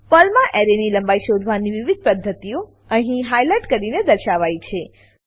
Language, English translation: Gujarati, Highlighted, are various ways to find the length of an array in Perl